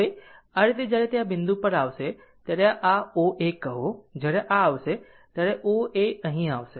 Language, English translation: Gujarati, Now this way when it will come to some this point say this O A when it will come this O A will come here